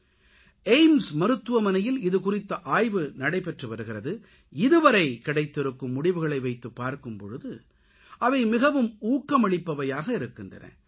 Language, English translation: Tamil, These studies are being carried out in AIIMS too and the results that have emerged so far are very encouraging